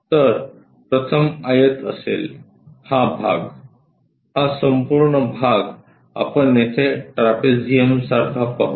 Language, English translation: Marathi, So, the first one will be rectangle this part, this entire part we will see it here like a trapezium